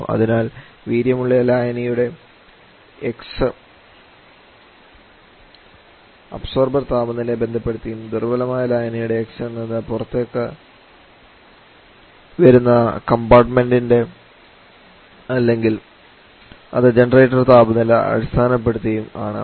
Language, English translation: Malayalam, So your x for the strong solution actually will be a function of the observer temperature and x for the weak solution will be a function of the component compartment that is leaving is a generator temperature